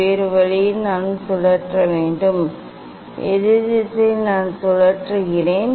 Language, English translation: Tamil, other way I have to rotate, opposite direction, I am rotating in opposite direction